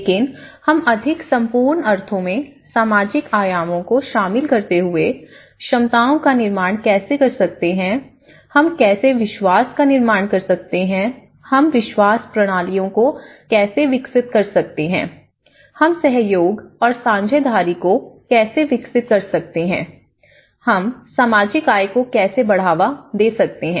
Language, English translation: Hindi, But in a more complete sense incorporating other social dimensions of recovery, how we can build the capacities, how we can build trust, how we can develop the belief systems, you know, how we can develop cooperation, how we can develop the partnership, how we can enhance the social capital